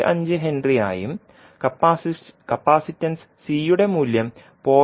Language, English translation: Malayalam, 5 henry and value of capacitance C as 0